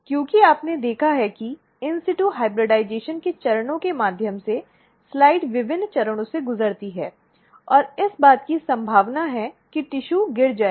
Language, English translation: Hindi, Because, you have seen that through the steps of in situ hybridization, the slides goes through various amounts of steps and there is a chances of that tissue will fall off